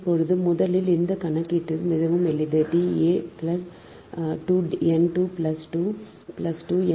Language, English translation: Tamil, now, first ah this: this: this calculation is very simple: d a to n, two plus two plus two, so six metre